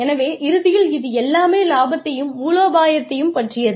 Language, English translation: Tamil, So, at the end of the day, it is all about profits